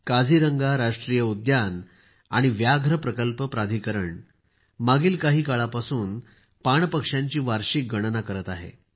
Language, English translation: Marathi, The Kaziranga National Park & Tiger Reserve Authority has been carrying out its Annual Waterfowls Census for some time